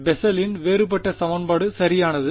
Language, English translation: Tamil, Bessel’s differential equation right